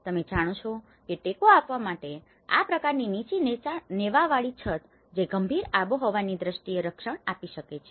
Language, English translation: Gujarati, You know to support this kind of low eaved roof which can protect from the harsh climatic aspect